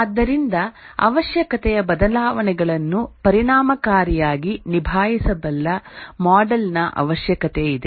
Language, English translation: Kannada, And therefore there is need for a model which can effectively handle requirement changes